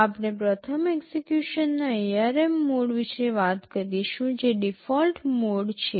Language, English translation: Gujarati, We first talk about the ARM mode of execution which is the default mode